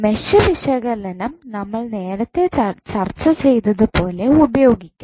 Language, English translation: Malayalam, You can use Mesh Analysis which we discussed earlier